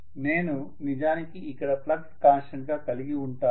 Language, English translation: Telugu, So I am actually going to have rather flux as the constant